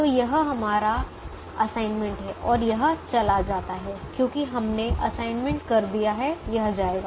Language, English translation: Hindi, so this is our assignment, this is our assignment and this goes because we have made the assignment